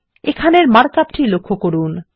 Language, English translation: Bengali, Notice the mark up here